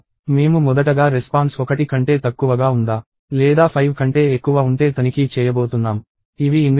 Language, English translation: Telugu, And we are first of all going to check if the response is less than one or if it is greater than 5, these are invalid responses